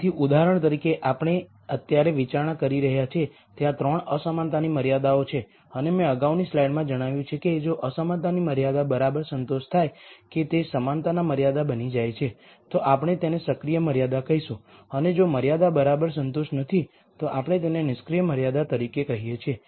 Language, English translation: Gujarati, So, in the example that we are considering right now, there are 3 inequality constraints and as I mentioned in the previous slide if the inequality constraint is exactly satis ed that does it becomes an equality constraint then we call that an active constraint and if the constraint is not exactly satisfied we call it as an inactive constraint